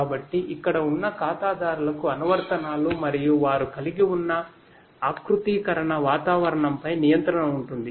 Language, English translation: Telugu, So, the clients over here have control over the applications and the configuration environment that they have